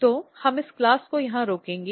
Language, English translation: Hindi, So, we will stop this class here